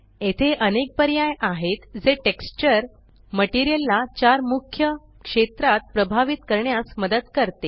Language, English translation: Marathi, There are various options here that help the texture influence the material in four main areas